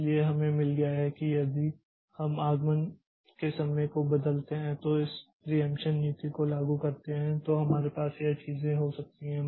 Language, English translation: Hindi, So, we have got, if you vary the arrival times then and apply this preemption policy then we can have this thing